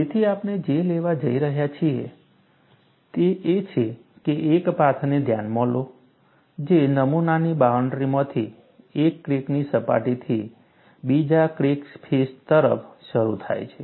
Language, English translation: Gujarati, So, what we are going to take is, consider a path which starts from one crack face to the other crack face, through the boundary of the specimen